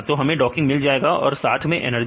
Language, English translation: Hindi, So, we get the docking score as well as the energy